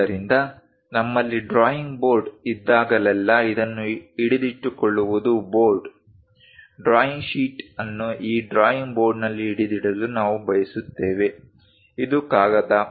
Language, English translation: Kannada, So, whenever we have a drawing board, to hold this is the board ; we will like to hold the drawing sheet on that drawing board, this is the paper